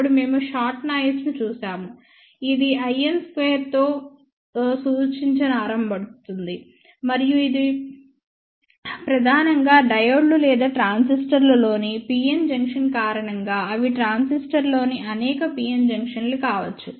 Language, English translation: Telugu, Then we looked at the schottky noise, which is represented by i n square and that is mainly because of the pn junction within diodes or transistors, they are may be several pn junctions within a transistor